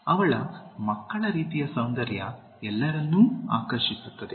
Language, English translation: Kannada, Her childlike beauty appeals to everyone